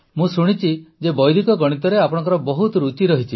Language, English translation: Odia, I have heard that you are very interested in Vedic Maths; you do a lot